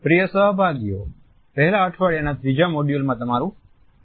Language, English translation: Gujarati, Dear participants, welcome to the third module of 1st week